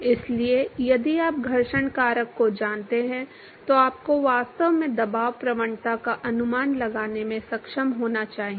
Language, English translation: Hindi, So, if you know the friction factor then you should actually be able to estimate the pressure gradient